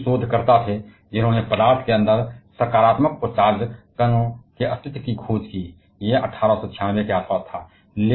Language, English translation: Hindi, Goldstein was the researcher who discovered the existence of positively charge particle inside the matter, it was around 1896